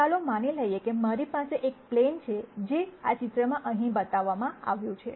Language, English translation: Gujarati, Let us assume that I have a plane which is shown here in this picture